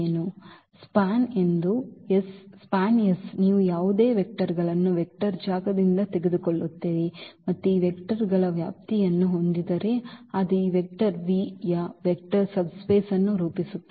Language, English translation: Kannada, That this is span S; the span S you take any vectors, from a vector space and having the span of this these vectors that will form a vector subspace of that vector V